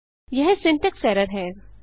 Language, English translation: Hindi, This is a syntax error